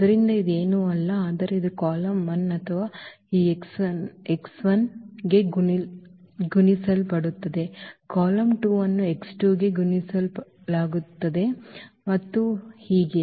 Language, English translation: Kannada, So, that is nothing but this is column 1 or will be multiplied to this x 1, the column 2 will be multiplied to x t2wo and so on